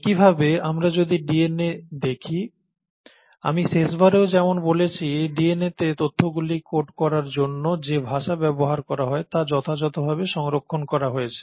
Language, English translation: Bengali, Similarly, if we were to look at the DNA, as I mentioned last time also, as far as the language which codes the information in DNA has been fairly conserved